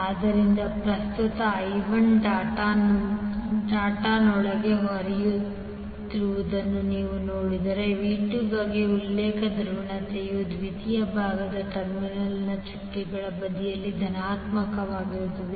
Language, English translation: Kannada, So if you see the current I 1 is flowing inside the dot the reference polarity for V2 will have positive at the doted side of the terminal on the secondary side